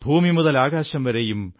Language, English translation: Malayalam, From the earth to the sky,